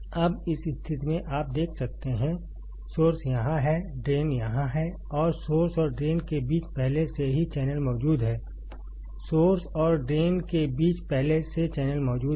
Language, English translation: Hindi, Now, in this condition you can see, source is here, drain is here and there already channel exists in between source and drain; there is already channel existing between source and drain